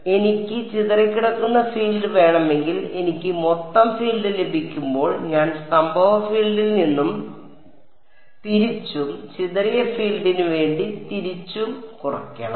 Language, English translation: Malayalam, So, once I can get the total field if I want the scattered field I have to subtract of the incident field and vice versa for the scattered field vice right